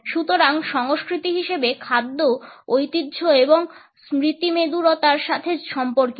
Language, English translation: Bengali, So, food as culture is related to tradition and nostalgia